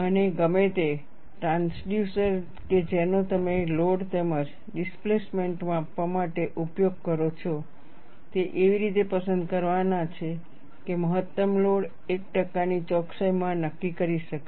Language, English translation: Gujarati, And, whatever the transducers that you use for measurement of load, as well as the displacement, they are to be selected such that, maximum load can be determined within 1 percent accuracy